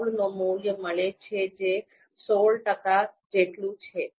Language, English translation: Gujarati, 16 which is equivalent of sixteen percent